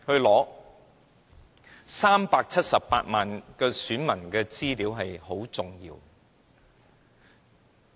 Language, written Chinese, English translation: Cantonese, 這378萬名選民的資料非常重要。, The personal particulars of the 3.78 million electors are very important information